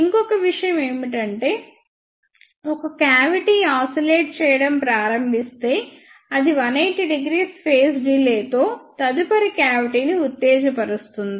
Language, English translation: Telugu, One more thing if one cavity starts oscillating, then it excites the next cavity with the phase delay of 180 degree